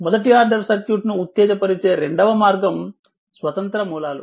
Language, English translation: Telugu, The second way second way to excite the first order circuit is by independent sources